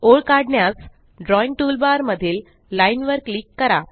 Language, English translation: Marathi, To draw a line, click on Line in the Drawing toolbar